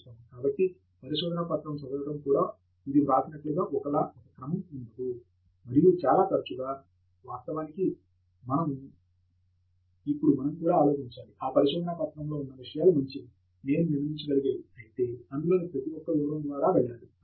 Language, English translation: Telugu, So, even the reading of paper is not in the same sequence as it is written, and very often, actually, we now need to also think whether we should go through every single detail that is there in that paper to be able to conform that they are up to something good that I can build up on